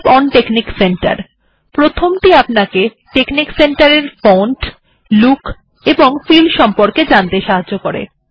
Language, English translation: Bengali, So help on texnic center, the first one gives you help on font, look and feel of texnic center